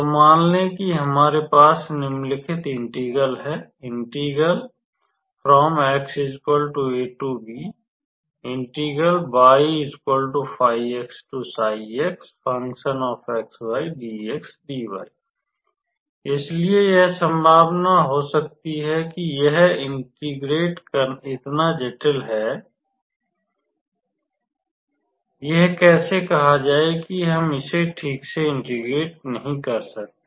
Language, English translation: Hindi, So, it can be possible that this integrand is so complicated or how to say not so common that we cannot integrate it properly